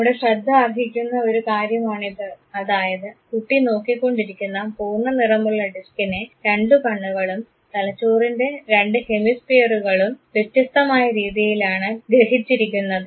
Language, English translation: Malayalam, It is worth looking, that the full colored disk that the boy was looking at has been preceded differently by the two eyes and of course, two hemispheres of the brain